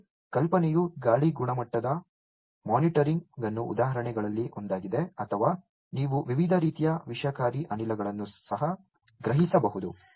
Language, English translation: Kannada, And the idea is to make say air quality monitoring that is one of the examples or you can sense various types of toxic gases as well